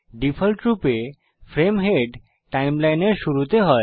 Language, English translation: Bengali, By default, the frame head is at the start of the timeline